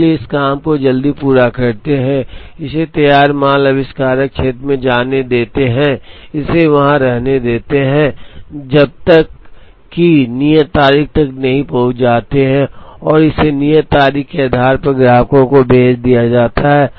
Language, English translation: Hindi, So, we complete the job early, let it go to the finished goods inventor area, let it stay there wait till the due date is reached and let it be shipped to the customer depending on the due date